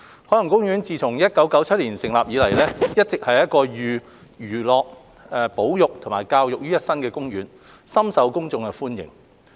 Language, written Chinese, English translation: Cantonese, 海洋公園自1977年成立以來，一直是一個寓康樂、保育及教育於一身的公園，深受公眾歡迎。, Since its opening in 1977 OP has been a highly popular theme park that integrated recreation conservation and education